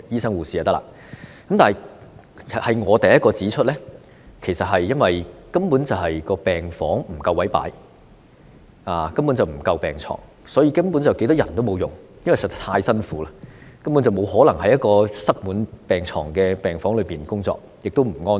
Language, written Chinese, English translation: Cantonese, 我是第一個指出，問題根本是因為病房不夠位擺放病床，以致沒有足夠的病床，所以有多少人手也沒有用，因為實在太辛苦了，根本不可能在一個塞滿病床的病房中工作，而且也不安全。, I am the first one to point out the root of the problem which is the lack of space in wards to accommodate hospital beds and therefore overall inadequacy in hospital beds . The increase in manpower will thus be useless and it is indeed too exhausting working in a hospital . It is basically impossible to work in a ward crowded with hospital beds and is not safe either